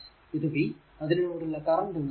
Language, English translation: Malayalam, So, it is v and current flowing through this is i, right